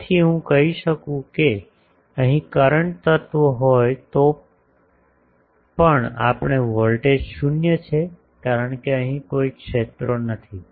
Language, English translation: Gujarati, So, I can say that even if there is a current element here this voltage is 0 because no fields here